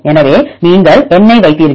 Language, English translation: Tamil, So, you put the number